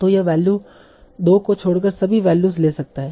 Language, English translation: Hindi, So this this can take all the values except a value of 2